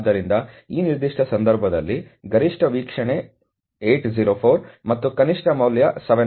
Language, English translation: Kannada, So, in this particular case the maximum observation is 804, and the minimum value is 719